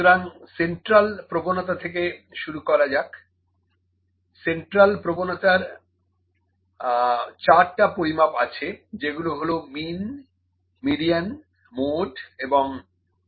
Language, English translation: Bengali, So, let me start from the central tendency, there are 4 measures of central tendency, which are mean, median, mode and midrange